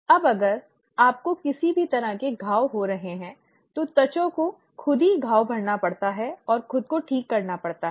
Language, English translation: Hindi, Now if you have any kind of wounds taking place, the skin has to heal itself and it has to repair itself